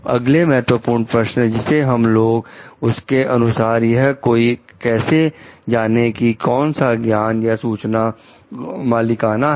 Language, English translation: Hindi, In the next key question will be taking up like: how does one know what knowledge or information is proprietary